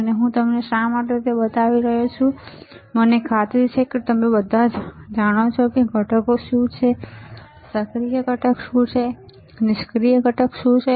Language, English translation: Gujarati, And why I am kind of showing it to you I am sure that you all know what are the components, what are the active components, what are the passive components